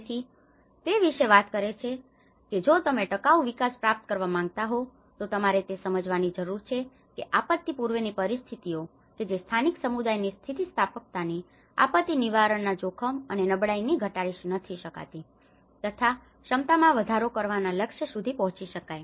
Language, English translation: Gujarati, So, it talks about if you want to achieve the sustainable development, you need to understand that pre disaster conditions which can reduce the risk and vulnerability and increase the capacity, the resilience of local communities to a goal of disaster prevention